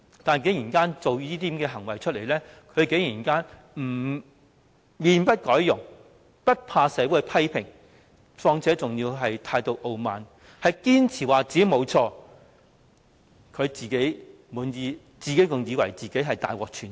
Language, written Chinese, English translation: Cantonese, 況且，她作出這些行為之後，竟然可以面不改容，無懼社會的批評，還要態度傲慢，堅持自己沒有錯，以為自己大獲全勝。, Worse still after doing all this she is not the slightest bit ashamed . She is defiant of all the criticisms in society and extremely arrogant insisting that she has done nothing wrong and thinking that she has won a great victory